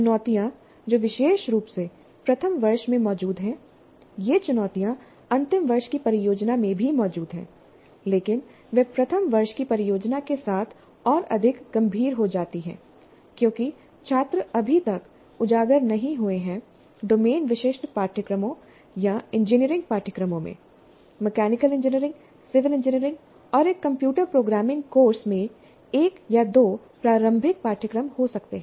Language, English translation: Hindi, The challenges which are present particularly in first year, these challenges exist even in final year project, but they become more severe with first year project because the students as it are not yet exposed to domain specific courses or engineering courses, much, maybe one or two elementary introductory courses in mechanical engineering, civil engineering, and a computer programming course